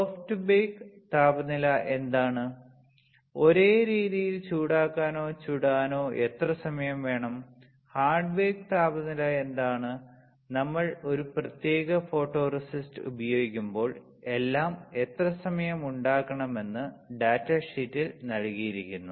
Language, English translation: Malayalam, What is the soft bake temperature; how much time you have to heat or bake, same way; what is a hard baked temperature; how much time you have to make everything is given in the data sheet when we use a particular photoresist